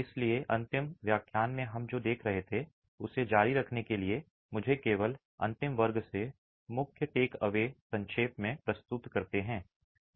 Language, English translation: Hindi, So, to continue with what we were looking at in the last lecture, let me just quickly summarize the key takeaways from the last class